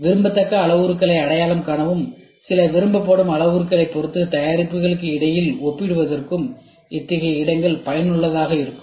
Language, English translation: Tamil, Such plots are useful for identifying desirable parameters and comparing between products with respect to some desire parameters